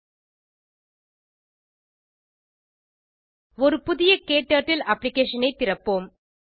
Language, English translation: Tamil, http://spoken tutorial.org Lets open a new KTurtle Application